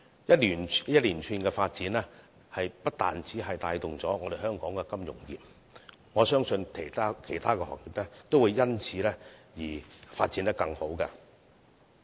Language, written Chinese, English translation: Cantonese, 這些一連串的發展不單可帶動香港金融業，我相信其他行業也會因此而發展得更好。, While all these developments can provide impetus to growth of the financial industry in Hong Kong I believe that other industries will also have better development